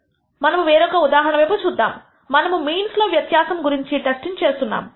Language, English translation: Telugu, Let us look at another example where we are testing for di erence in means